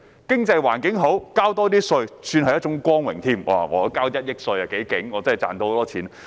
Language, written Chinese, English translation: Cantonese, 經濟環境好、多交些稅是一種光榮，我交1億元稅，代表我很厲害，賺到很多錢。, In a thriving economy it is an honour to pay more tax . If I have a tax bill of 100 million it means I am great and make a lot of money